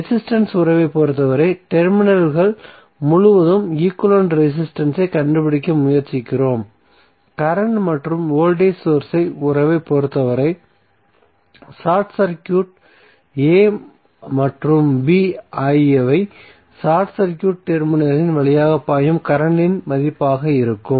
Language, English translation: Tamil, So, what we got we got the voltage relationship as well as resistance relationship for resistance relationship we try to find out the equivalent resistance across the terminals and for the current and voltage source relationship we just saw, when we short circuit a and b what would be the value of the current flowing through the short circuited terminal